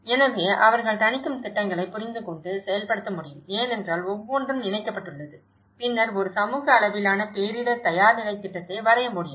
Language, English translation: Tamil, So that, they can understand and implement mitigation plans because each one is connected to and then that is where one can end up draw a community level disaster preparedness plan